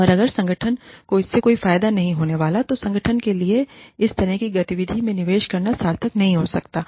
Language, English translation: Hindi, And, if the organization is not going to be benefited by it, then it may not be worthwhile for the organization, to invest in this kind of activity